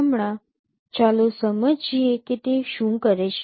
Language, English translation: Gujarati, Right now let us understand what it does